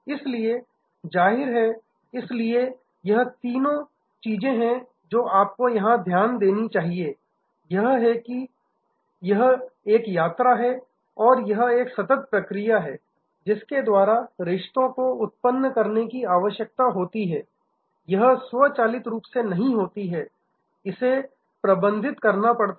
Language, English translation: Hindi, So, obviously, therefore, this the three things that you should notice here, one is that it is a journey and it is a continuous process by which the relationship needs to be upgraded, it does not automatically happen, it has to be managed